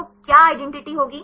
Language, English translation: Hindi, So, what will be the identity